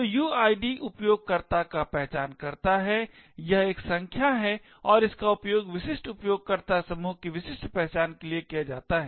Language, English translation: Hindi, So uid is the user identifier it is a number and it is used to uniquely identify that particular user group